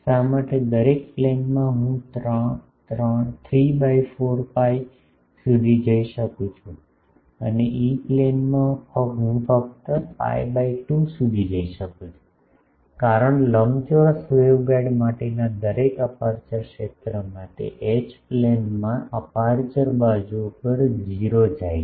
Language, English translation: Gujarati, Why in each plane I can go up to 3 by 4 pi and in E Plane, I can go only up to pi by 2, the reason is the in the each aperture field for a rectangular waveguide, that goes to 0 at the sides of the aperture in the H plane